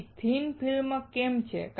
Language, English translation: Gujarati, Why is it thin film